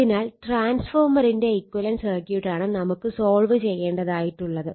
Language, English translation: Malayalam, For that we need to know the equivalent circuit of a transformer, right